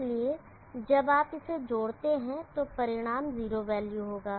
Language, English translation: Hindi, So when you add it will result in a 0 value